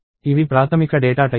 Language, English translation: Telugu, And these are basic data types